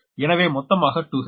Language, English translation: Tamil, so totally two h, right